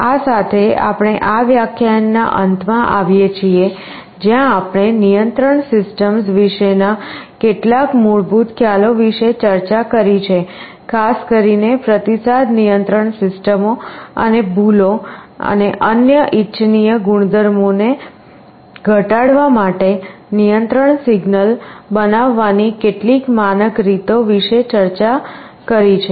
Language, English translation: Gujarati, With this we come to the end of this lecture, where we have discussed some basic concepts about control systems in particular the feedback control systems and some standard ways of generating the control signal to minimize errors and other desirable properties